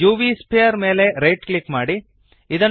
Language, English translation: Kannada, Now, right click the UV sphere